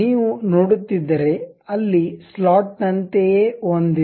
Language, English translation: Kannada, If you are seeing, there is something like a slot